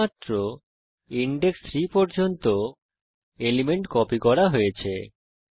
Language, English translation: Bengali, Only the elements till index 3 have been copied